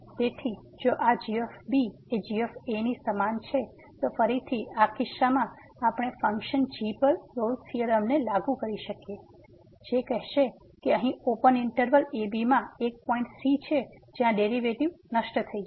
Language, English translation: Gujarati, So, if this is equal to in this case we can again apply the Rolle’s theorem to the function which will say that there will be a point in the open interval where the derivative will vanish